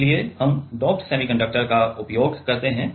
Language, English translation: Hindi, So, that is why we use doped semiconductor